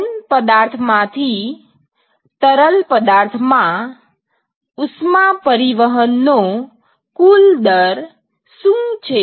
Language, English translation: Gujarati, What will be the total rate of heat transport from the solid to the fluid